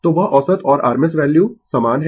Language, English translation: Hindi, So, that the average and the rms values are the same right